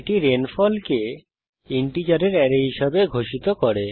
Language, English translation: Bengali, This declares rainfall as an array of integers